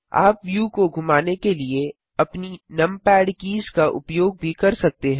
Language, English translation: Hindi, You can also use your numpad keys to pan the view